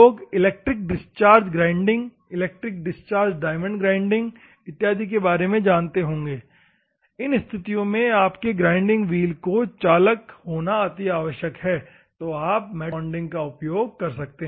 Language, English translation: Hindi, People might be understanding about electric discharge grinding, electric discharge diamond grinding, and other things there, and you need your grinding wheel to be conductive in those circumstances normally you can use the metal bonding